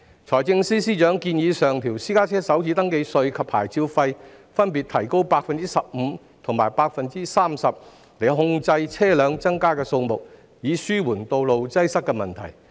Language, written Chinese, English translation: Cantonese, 財政司司長建議上調私家車首次登記稅及牌照費，加幅分別為 15% 及 30%， 以控制車輛增加的數目，紓緩道路擠塞的問題。, FS has proposed to increase the first registration tax FRT rates and vehicle licence fees for private cars by 15 % and 30 % respectively with a view to controlling the increase in the number of vehicles and alleviating the road congestion problem